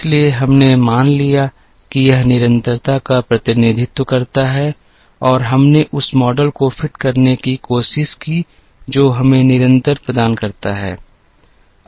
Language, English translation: Hindi, Therefore, we assumed that this represents the constant and we tried to fit a model that gives us that constant